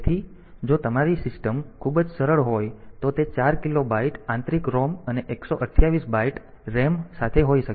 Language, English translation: Gujarati, So, if your system is very simple it may be that with 4 kilobyte of internal ROM and 128 bytes of RAM